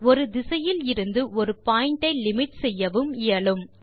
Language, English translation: Tamil, It is also possible to limit a point from one direction